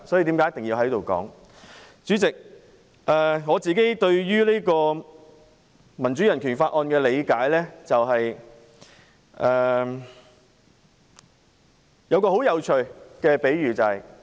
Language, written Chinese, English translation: Cantonese, 主席，對於《香港人權與民主法案》的理解是，我有一個很有趣的比喻。, President according to my understanding of the Hong Kong Human Rights and Democracy Act I would like to draw an interesting analogy here